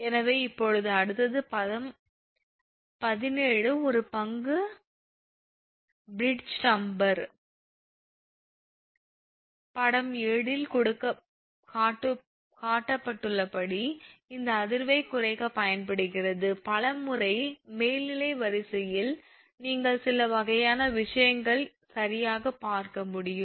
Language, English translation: Tamil, So, now next it is that this figure 7 sorry figure 17 a stock bridge damper as shown in figure 7 is used to minimize this vibration, many times in overhead line, you can see some kind of thing right